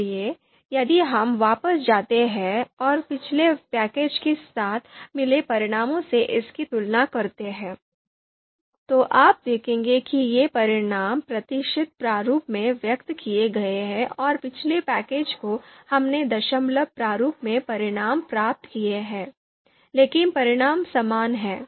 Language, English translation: Hindi, So if we go back and compare it with the results that we had got with the previous package, you will see though these results are expressed in the percentage format and the previous package we got the results in the in the decimal format, but the results are same